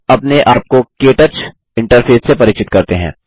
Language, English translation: Hindi, Now, lets familiarize ourselves with the KTouch interface